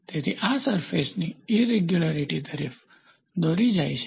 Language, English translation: Gujarati, So, this also leads to surface irregularities